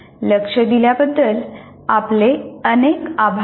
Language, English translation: Marathi, And thank you very much for your attention